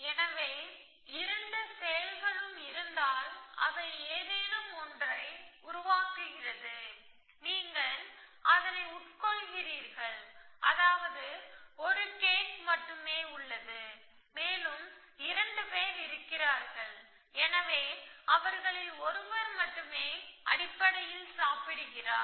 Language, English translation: Tamil, So, if both the actions, so it have something, you have consuming I mean there only 1 cake and there are 2 people, so only one of them eat essentially